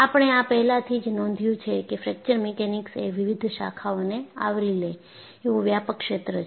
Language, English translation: Gujarati, In this, we have already noticed that Fracture Mechanics is a broad area covering several disciplines